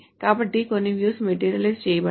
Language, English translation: Telugu, So some views are materialized